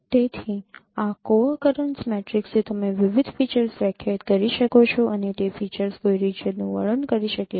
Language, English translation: Gujarati, So from this co accurrence matrix you can define different features and those features can describe a region